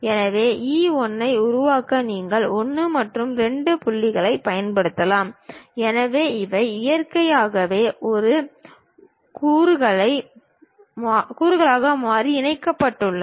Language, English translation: Tamil, So, to construct E 1 perhaps you might be using 1 and 2 points; so, these are naturally connected as a pointed variables